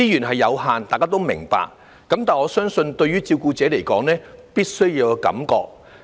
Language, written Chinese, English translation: Cantonese, 大家都明白資源有限，但我相信對照顧者來說，必須要有感覺。, We all understand that resources are limited but I believe carers hope that they can at least feel the support